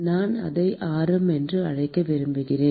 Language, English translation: Tamil, I wanted to call it radius